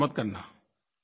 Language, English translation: Hindi, So, avoid doing that